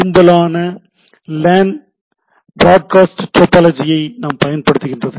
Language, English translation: Tamil, Most LANs use broadcast topology